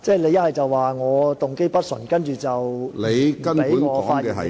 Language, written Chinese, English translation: Cantonese, 你說我動機不純正，然後不容許我發言......, You claimed that my motive was impure and then forbade me to speak